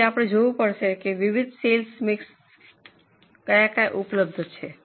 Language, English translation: Gujarati, So, we will have to look at various sale mixes which are available